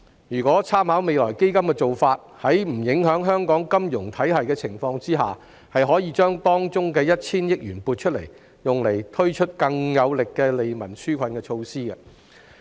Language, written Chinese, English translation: Cantonese, 如果參考未來基金的做法，在不影響香港金融體系的情況下，有關收益當中的 1,000 億元可以撥出，用以推出更有力的利民紓困措施。, If the practice of the Future Fund is followed 100 billion of the income can be allocated to roll out stronger relief measures provided that the financial system of Hong Kong is not affected